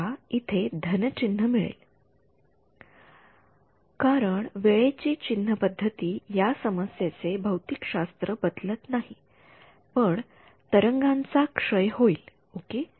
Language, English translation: Marathi, We will get a plus sign over here because your time convention does not change the physics of the problem, but the wave will decay ok